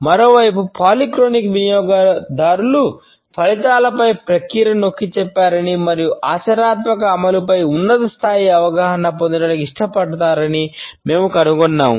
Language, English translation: Telugu, On the other hand we find that polychronic users emphasize process over results and prefer to gain a high level of understanding over a practical implementation